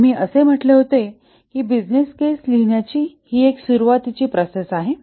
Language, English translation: Marathi, We had said that this is one of the initiating processes to write the business case